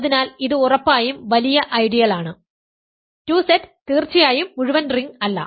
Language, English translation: Malayalam, So, this is a strictly bigger ideal and 2Z of course, is not the entire ring